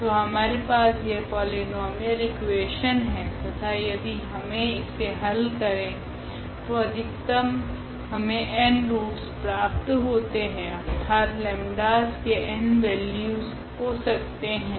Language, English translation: Hindi, So, we have this polynomial equation and then if we solve this equation we will get at most these n roots of this equation; that means, the n values of the lambdas